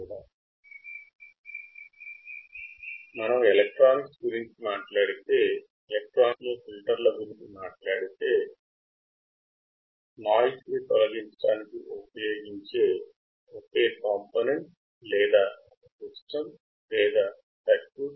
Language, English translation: Telugu, But when you talk about electronics, it is a circuit that can be used to remove the unwanted signal